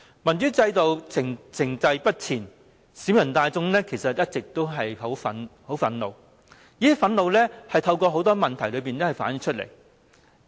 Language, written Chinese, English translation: Cantonese, 民主制度停滯不前，其實市民大眾一直都非常憤怒，而這種憤怒透過很多問題反映了出來。, The people have all along been very angry about the lack of democratic progress for our system and such anger has manifested itself in many different problems